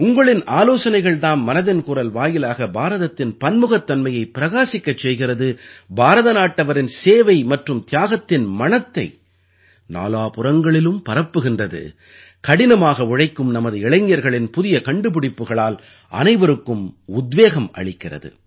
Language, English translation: Tamil, It is your suggestions, through 'Mann Ki Baat', that express the diversity of India, spread the fragrance of service and sacrifice of Indians in all the four directions, inspire one and all through the innovation of our toiling youth